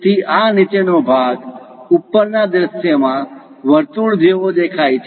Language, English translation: Gujarati, So, this bottom portion looks like a circle in the top view